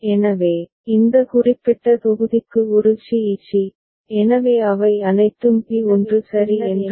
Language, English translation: Tamil, So, for this particular block a c e c, so all of them lie in same block of P1 ok